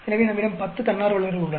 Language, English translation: Tamil, So, we have ten volunteers